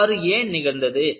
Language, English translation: Tamil, Why this has happened